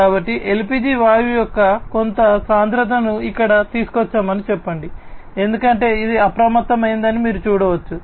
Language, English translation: Telugu, So, let us say that we bring some concentration of LPG gas over here as you can see that it has alerted